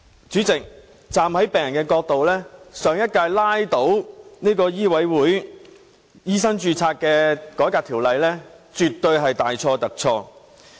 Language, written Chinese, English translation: Cantonese, 主席，從病人的角度，上屆拉倒《2016年醫生註冊條例草案》絕對是大錯特錯。, President from the patients perspective it was absolutely wrong to drag down the Medical Registration Amendment Bill 2016 in the last term